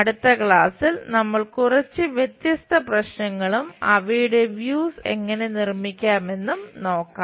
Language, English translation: Malayalam, In next class we will look at different few more problems and how to construct their views